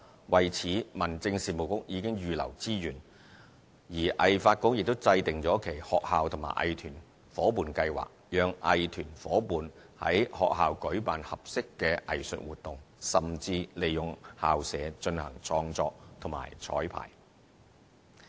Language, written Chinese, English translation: Cantonese, 為此，民政事務局已預留資源，而藝發局亦制訂了其"學校與藝團伙伴計劃"，讓藝團夥伴於學校舉辦合適的藝術活動，甚至利用校舍進行創作及綵排。, To this end the Home Affairs Bureau has set aside resources and HKADC has formulated its Arts - in - School Partnership Scheme to let arts groups hold suitable arts activities in their partnered schools and use the school premises for creative and rehearsal purposes